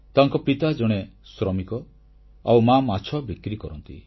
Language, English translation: Odia, Her father is a labourer and mother a fishseller